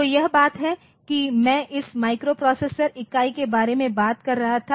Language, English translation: Hindi, about that this microprocessor unit